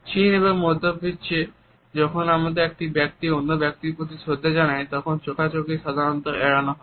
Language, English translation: Bengali, In China as well as in Middle East a one has to pay respect to the other person, the eye contact is normally avoided